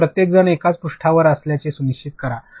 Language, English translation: Marathi, And, make sure everybody is on the same page